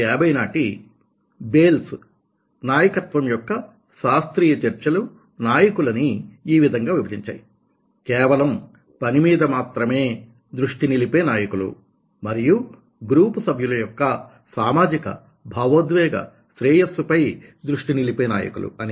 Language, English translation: Telugu, the classic discussion of leadership since bales nineteen hundred fifty has divided leaders into those who are focus on task and those who focus on the socio emotional well being of the members of the group